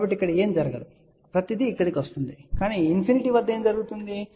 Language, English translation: Telugu, So, nothing will go here; everything will come over here ok, but at infinity what will happen